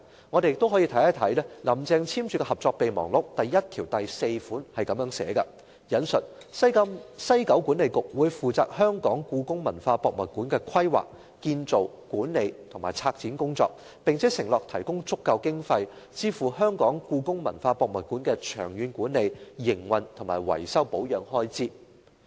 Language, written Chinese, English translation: Cantonese, 我們可以看看"林鄭"簽署的《合作備忘錄》，第一1條第4款是這樣寫的，"西九管理局會負責香港故宮文化博物館的規劃、建造、管理及策展工作，並承諾提供足夠經費，支付香港故宮文化博物館的長遠管理、營運和維修保養開支"。, If we take a look at MOU signed by Carrie LAM it is mentioned in Article 11 Paragraph 4 that WKCDA will be responsible for the planning construction management and curatorial matters of HKPM and pledged to provide sufficient funds to meet the management operation and maintenance expenses of HKPM in the long run